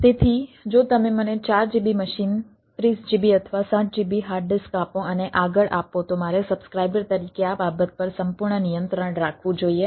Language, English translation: Gujarati, so if you give me four gb machine, thirty gb, sixty gb hard disk and so and so forth, that i should have to complete control over the thing, right, as a subscriber